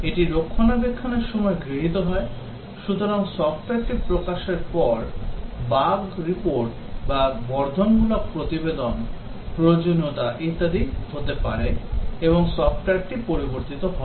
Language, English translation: Bengali, This is undertaken during maintenance, so after the software is released there can be bug reports or enhancement reports, putting requirement and so on and the software gets changed